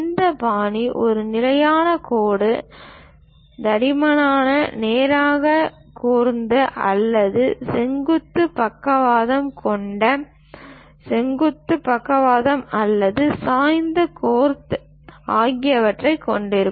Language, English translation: Tamil, This style supposed to consist of a constant line, thickness either straight gothic with vertical strokes perpendicular to the base line or inclined gothic